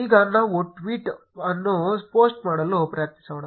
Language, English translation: Kannada, Now let us try posting the tweet